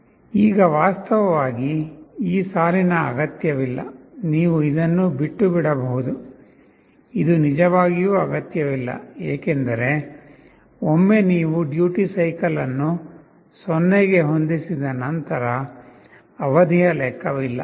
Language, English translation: Kannada, Now, this line is actually not needed this line you can also omit this is not really required because, once you set the duty cycle to 0 the period does not matter ok